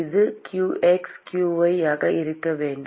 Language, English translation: Tamil, It should be qx, qy